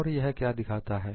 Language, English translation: Hindi, So, what it shows